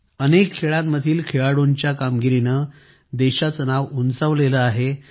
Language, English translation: Marathi, The achievements of players in many other sports added to the glory of the country